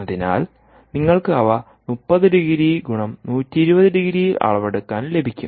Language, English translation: Malayalam, so you would get them in thirty degrees cross one, twenty degrees for measurement